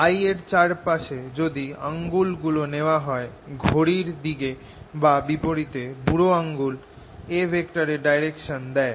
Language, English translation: Bengali, so if i take my fingers around, l clockwise or counterclockwise thumb gives me the direction of a